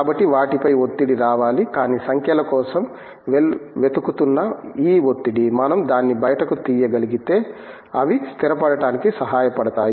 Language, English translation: Telugu, So, the pressure has to be applied on them, but this pressure of looking for numbers, if we could take it out, would help them to settle down